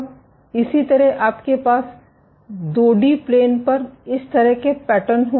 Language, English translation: Hindi, Similarly, you will have this kind of patterns on a 2 D plane